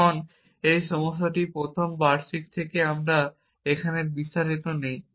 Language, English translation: Bengali, Now, the trouble with this is from first yearly we are not into details here